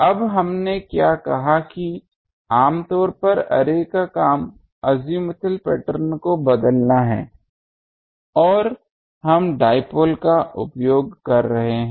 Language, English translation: Hindi, Now what we said that the generally the job of array is to change the azimuthal pattern and we are using dipoles